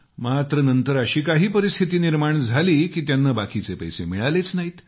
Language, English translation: Marathi, However, later such circumstances developed, that he did not receive the remainder of his payment